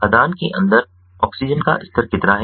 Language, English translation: Hindi, how much is the oxygen level inside the mine